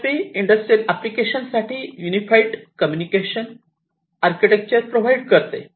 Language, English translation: Marathi, And, the CIP provides unified communication architecture for industrial applications